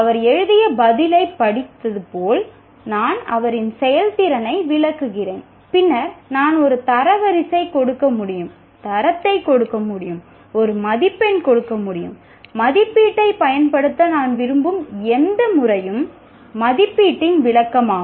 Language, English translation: Tamil, Like I read the answer that he has written and then I can give a rank, I can give a grade, I can give a mark, whatever method that I want to use, evaluation is an interpretation of assessment